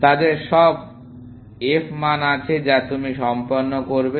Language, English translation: Bengali, All of them will have their f values that you would have completed